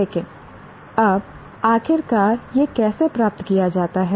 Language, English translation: Hindi, But now finally, how is this obtained